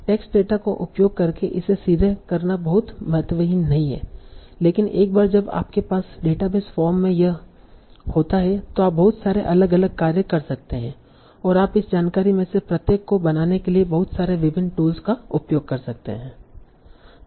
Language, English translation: Hindi, It is not very trivial to do it directly by using the text data but once you have this in a database form you can do a lot of different tasks and look you can use a lot of different tools to make use of this information